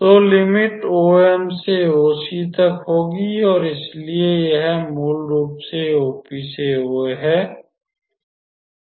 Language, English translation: Hindi, So, the limit will be from OM to OC and so, this one is basically O O P to O A